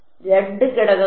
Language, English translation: Malayalam, For the 2 elements